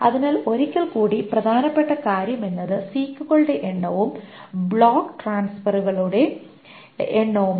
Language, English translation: Malayalam, So, once most the only important things is the number of 6 and the number of block transfers